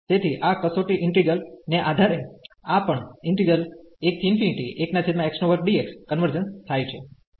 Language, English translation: Gujarati, So, in that case the other integral will also converge